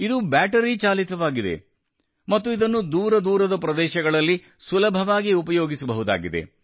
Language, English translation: Kannada, It runs on battery and can be used easily in remote areas